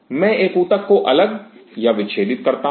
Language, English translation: Hindi, I isolate or dissect a tissue